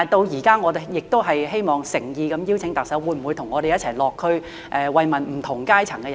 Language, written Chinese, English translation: Cantonese, 現在我亦希望誠意邀請特首，可否與我們一起落區慰問不同階層的人士？, Meanwhile may I sincerely invite the Chief Executive to visit the districts with us to express our concern for people from different walks of life?